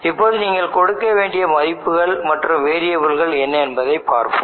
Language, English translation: Tamil, Now we need to see what are the values that you need to give and what variable you would want to give here